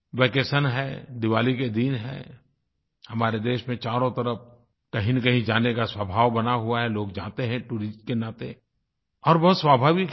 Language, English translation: Hindi, There are vacations, Diwali is drawing near, all around in our country, there is an inclination to travel to some place or the other; people go as tourists and it is very natural